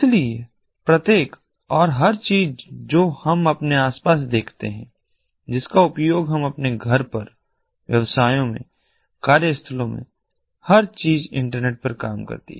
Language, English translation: Hindi, so each and everything that we see around us that we use at our home, in businesses, in workplaces, everything being internetworked